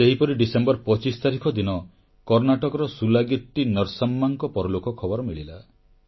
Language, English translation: Odia, On similar lines, on the 25th of December, I learnt of the loss of SulagittiNarsamma in Karnataka